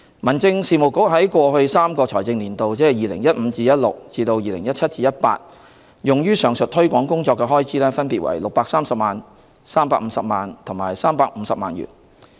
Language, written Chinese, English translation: Cantonese, 民政事務局在 2015-2016 至 2017-2018 的3個財政年度，用於上述推廣工作的開支分別為630萬元、350萬元和350萬元。, In each of the financial years of 2015 - 2016 to 2017 - 2018 the Home Affairs Bureau has incurred 6.3 million 3.5 million and 3.5 million respectively for the above mentioned promotion